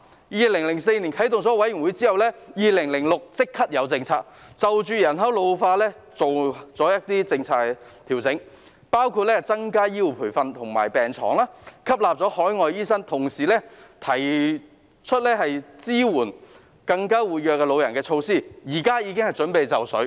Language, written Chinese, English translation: Cantonese, 在2004年設立委員會後，在2006年便立即提出新政策，就着人口老化調整一些政策，包括增加醫護培訓及病床數目、吸納海外醫生，同時提出支援活躍老人的措施，現時已經準備就緒了。, After setting up a committee in 2004 new policies were promptly proposed in 2006 to adjust some policies in the light of the ageing population including increasing the number of healthcare training places and the number of beds and admitting overseas doctors while at the same time introducing measures to support the active elderly . The relevant initiatives are now ready for implementation